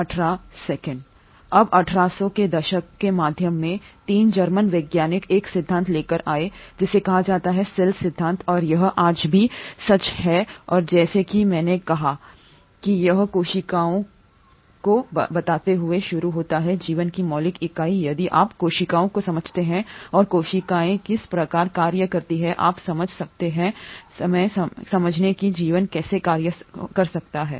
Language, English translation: Hindi, Now, way back in mid 1800s, 3 German scientists came up with a theory which is called as the cell theory and this holds true even today and as I said it starts by stating that cells are the fundamental unit of life, if you understand cells and how cells function you can kind of understand how life can function